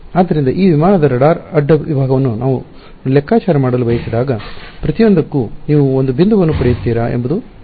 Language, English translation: Kannada, So, question is when I want to calculate the radar cross section of this aircraft, will you get a point for each